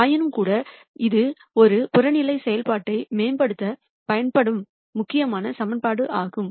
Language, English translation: Tamil, Nonetheless this is the critical equation which is used to optimize an objective function